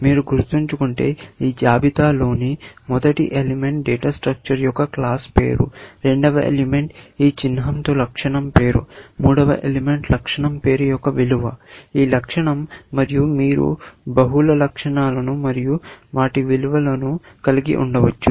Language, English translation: Telugu, If you remember, the first element in this list is the class name of the data structure; the second element which, with this symbol is the attribute name; the third element is the value of the attribute name, this attribute; and you can have multiple attributes and their values